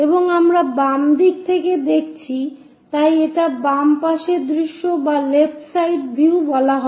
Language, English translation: Bengali, And we are looking from left side so, it is called left side view